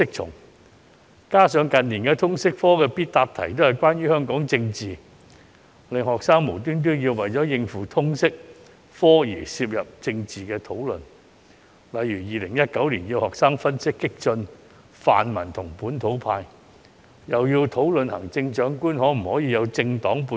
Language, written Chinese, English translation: Cantonese, 再加上近年通識科的必答題都是關於香港政治，令學生無端為了應付通識科而參與政治討論，例如2019年要求學生分析激進泛民與本土派，又要求學生討論行政長官可否有政黨背景。, Furthermore since the compulsory examination questions for the LS subject in recent years were related to politics in Hong Kong students had to involve themselves in political discussions for no reason other than to cope with the LS subject . For example in 2019 students were asked to provide an analysis of the radical pan - democratic camp and the localist camp and discuss whether the Chief Executive could have political affiliation